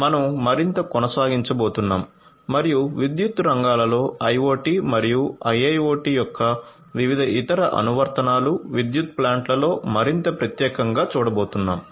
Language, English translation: Telugu, We are going to continue further and we are going to look at different other applications, applications of IoT and IIoT in the power sector more specifically in the power plants